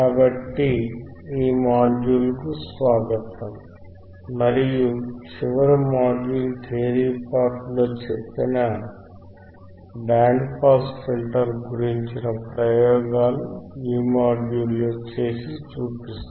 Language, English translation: Telugu, So, welcome to this module and in this module, we will be performing the experiments that we have seen in the last module which is the theory part about the band pass filter